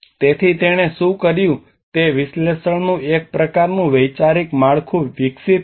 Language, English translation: Gujarati, So what she did was she developed a kind of conceptual framework of analysis